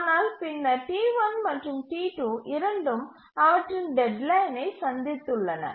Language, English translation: Tamil, But then just see that both T1 has made its deadlines and T2 also has made its deadlines